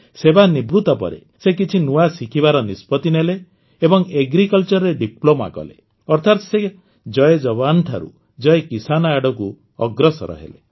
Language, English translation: Odia, After retirement, he decided to learn something new and did a Diploma in Agriculture, that is, he moved towards Jai Jawan, Jai Kisan